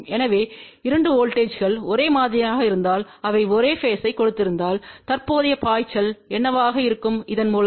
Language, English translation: Tamil, So, if the 2 voltages are same and they have a same phase, so what will be the current flowing through this there will be a no current flowing through that